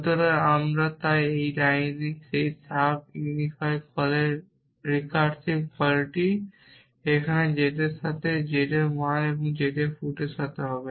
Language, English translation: Bengali, So, we so that recursive call that sub unify call in this line here would be with the value of z with z and feet of z essentially